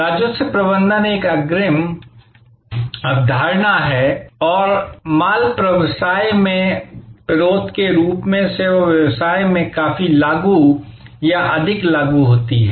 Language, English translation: Hindi, Revenue management is an advance concept, quite applicable or rather more applicable in the services business as oppose to in the goods business